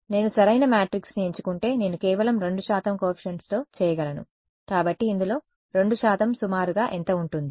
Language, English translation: Telugu, If I choose a correct matrix, I can with just 2 percent coefficients; so, 2 percent of this is going to be roughly how much